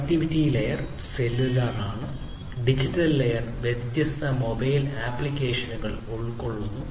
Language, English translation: Malayalam, The connectivity layer is cellular and the digital layer consists of different mobile applications